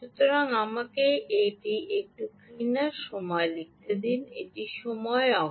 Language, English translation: Bengali, so let me write it a little more clean: ah time, this is time axis